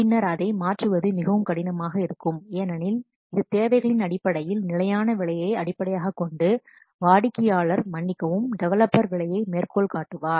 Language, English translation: Tamil, And it is very difficult to change, change it later on because this is based on this fixed piece, based on the requirements, the customer will, sorry, the developer will code the price